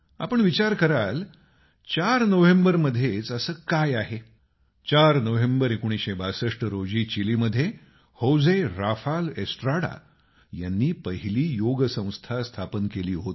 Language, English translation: Marathi, On 4th of November 1962, the first Yoga institution in Chile was established by José Rafael Estrada